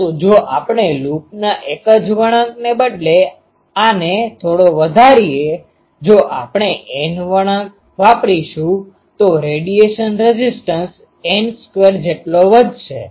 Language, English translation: Gujarati, But this can be increased a bit if we instead of a single turn of a loop; if we use N turns, the radiation resistance will increase by n square